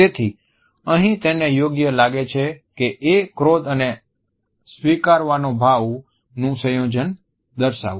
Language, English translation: Gujarati, So, here the right solution is a combination of anger and content